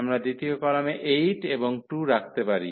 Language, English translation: Bengali, So, we can place 8 and 2 in the second column